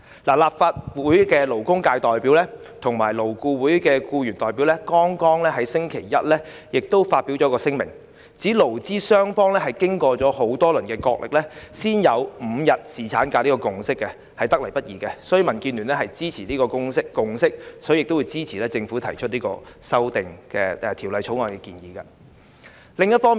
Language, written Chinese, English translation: Cantonese, 立法會的勞工界代表及勞顧會的僱員代表剛於星期一發表了一份聲明，指勞資雙方經多輪角力，才達成5天侍產假這個共識，得來不易，因此民建聯支持這項共識，亦會支持政府提出《條例草案》的建議。, Members representing the labour sector in this Council jointly with the employee representatives of LAB issued a statement on Monday stating that the proposed five - day paternity leave is a hard - earned consensus through rounds of tug - of - war between employers and employees . DAB will thus support the consensus and also the proposal introduced by the Government in the Bill